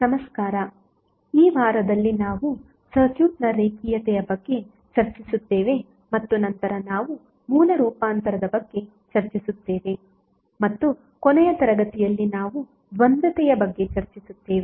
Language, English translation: Kannada, Namaskar, So in this week, we discuss about linearity of the circuit and then we discuss about the source transformation and in last class we discuss about duality